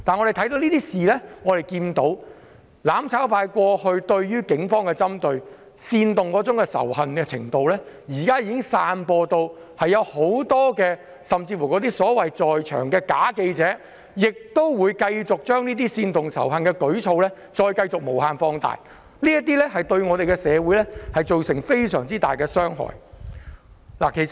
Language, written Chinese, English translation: Cantonese, 從這些事件可見，"攬炒派"過往對警方作出的針對和煽動仇恨的行為現已散播，現場甚至有假記者繼續將這些煽動仇恨的舉措無限放大，對社會造成很大的傷害。, Incidents like this reflects the spread of the confrontational and hatred instigating behaviour of the mutually destruction camp . There are even fake reporters who keep on magnifying such hatred instigating behaviour causing very great harm to the society